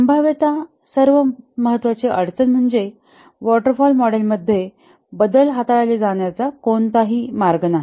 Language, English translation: Marathi, Possibly the most important difficulty is there is no way change requests can be handled in the waterfall model